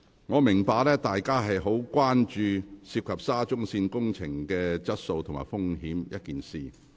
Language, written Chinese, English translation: Cantonese, 我明白，大家非常關注沙中線工程質素及安全風險一事。, I understand that Members have grave concern over the works quality and safety risks of the Shatin to Central Link